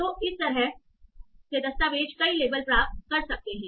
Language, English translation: Hindi, So document by this way can get many of the labels